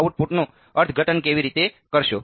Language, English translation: Gujarati, How will you interpret the output